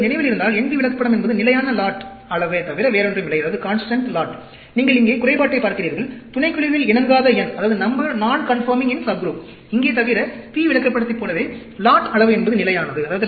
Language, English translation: Tamil, NP Chart is nothing, but if you remember, NP Chart is constant lot size; you are looking at the defective here; number non conforming in subgroup; same as the P chart, except here, lot size is constant